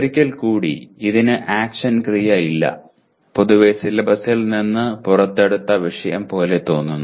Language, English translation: Malayalam, Once again, it is a no action verb and generally sounds like topic pulled out of the syllabus